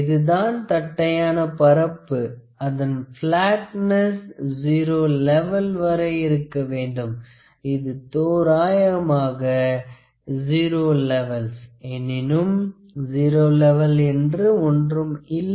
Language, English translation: Tamil, So, this is a flat surface the flatness has to be up to zero level like approximately zero levels; however, there is no zero actual zero level that exists